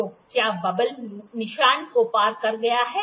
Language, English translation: Hindi, So, has the bubble cross the marking